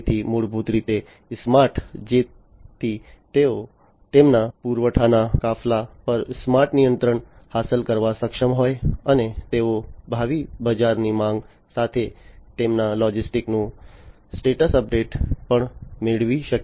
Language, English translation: Gujarati, So, basically smart so they are able to achieve smart control of their supply fleet, and also they are able to get the status update of their logistics with future market demand